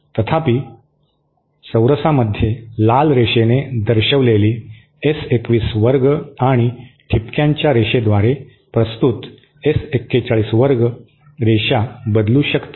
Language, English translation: Marathi, However S21 represented by Square represented by this Red Line and S 41 square represented by this dotted line will vary